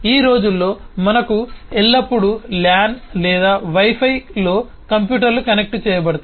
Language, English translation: Telugu, these days we always have computers connected on the lan or wi fi and so on